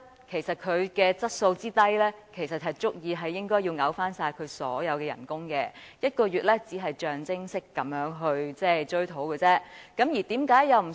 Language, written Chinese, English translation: Cantonese, 其實，以他質素之低，本應該要求他退回所有薪酬，削減1個月薪酬只是象徵式追討而已。, In fact judging from his poor performance I should have asked him to return all the remuneration he has received and the deduction of one months remuneration is a merely symbolic gesture